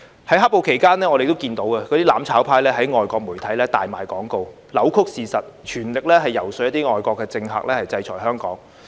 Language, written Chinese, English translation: Cantonese, 在"黑暴"期間，我們看到"攬炒派"在外國媒體大賣廣告，扭曲事實，全力遊說一些外國政客制裁香港。, During the period of black - clad violence we saw that the mutual destruction camp was actively placing advertisements in foreign media distorting the facts and lobbying some foreign politicians to sanction Hong Kong with all their efforts